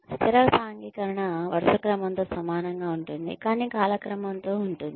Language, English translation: Telugu, Fixed socialization is similar to sequential, but with a timeline